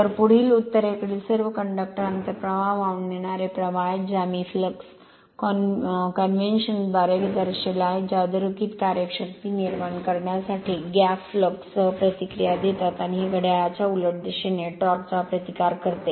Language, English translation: Marathi, So, next is all the conductors under the north pole carry inward flowing currents that I showed with flux convention which react with their air gap flux to produce downward acting force, and it counter and the counter clockwise torque